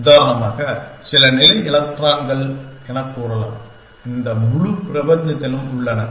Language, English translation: Tamil, Let say as some level electrons for example, are there in this entire universe